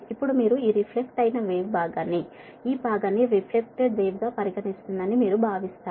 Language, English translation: Telugu, now you consider the reflected wave, will consider this reflected wave part, this part, this part right reflected wave